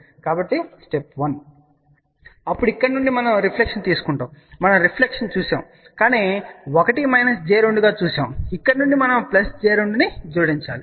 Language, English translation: Telugu, So, step 1; then from here we take a reflection, we had seen the reflection and this we had seen as 1 minus j 2, from here we need to add plus j 2